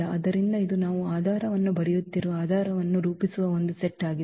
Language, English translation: Kannada, So, this is a set which form a basis we are writing a basis